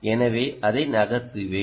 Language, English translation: Tamil, so let me move it